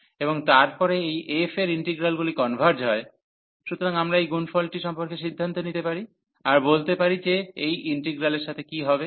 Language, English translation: Bengali, And then these integral over f converges, so then we can conclude about this product as well that what will happen to to this integral